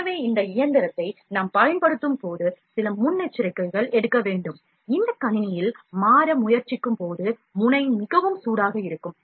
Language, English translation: Tamil, So, precautions while we use this machine are, certain precautions, when we try to switch on this machine, the nozzle is quite hot